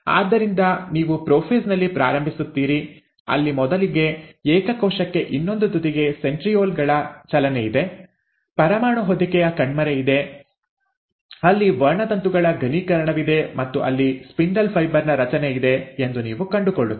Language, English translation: Kannada, So, you start in prophase where for the single cell, you find that the first, there is a movement of the centrioles to the other end, there is a disappearance of the nuclear envelope, there is the condensation of the chromosomes and there is the formation of the spindle fibre